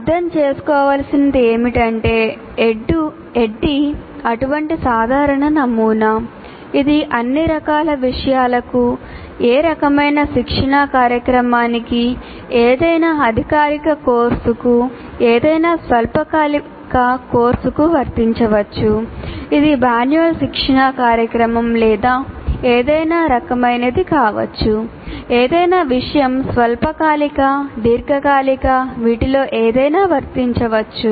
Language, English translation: Telugu, So what needs to be understood is the ADD is such a generic model, it is applied to all types of things, any type of training program, any formal course, any short term course, it could be manual training program or on any subject, short term, long term, anything it can be applied